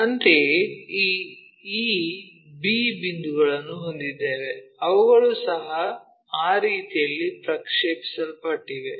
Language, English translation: Kannada, Similarly, we have these points e b things those who are also projected in that way